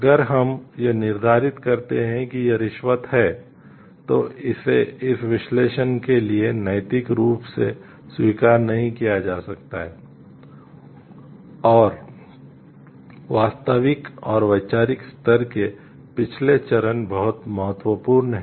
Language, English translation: Hindi, If we determine it is a bribe, then it cannot be ethically accepted for this analysis and the previous stages or fact and conceptual level is very important